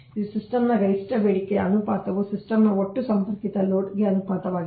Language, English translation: Kannada, it is the ratio of the maximum demand of a system to the total connected load of the system